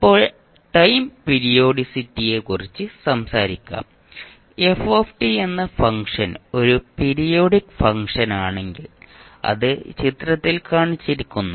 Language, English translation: Malayalam, Now let’s talk about the time periodicity, if the function f t is a periodic function which is shown in the figure it’ is periodic with period t